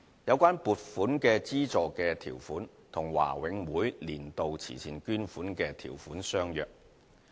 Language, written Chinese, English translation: Cantonese, 有關撥款資助的條款與華永會"年度慈善捐款"的條款相若。, The conditions of grant for this project are similar to those for annual charity donations approved by BMCPC